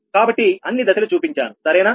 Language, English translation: Telugu, so all the steps have been shown